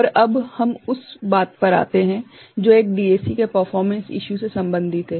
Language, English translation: Hindi, So, now we come to something, which is related to performance issues of a DAC ok